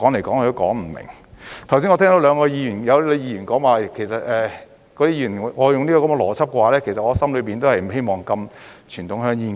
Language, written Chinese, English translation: Cantonese, 剛才我聽到兩位議員說我用這個邏輯的話，其實我的心裏也不希望禁傳統香煙。, A moment ago I have heard two Members say that if I apply this logic that means in fact I do not wish to ban conventional cigarettes in my heart